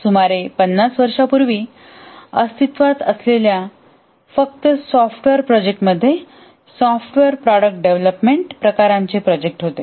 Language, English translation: Marathi, About 50 years back, the only type of software projects that were existing were software product development type of projects